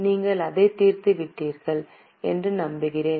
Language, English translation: Tamil, Okay, I hope you have solved it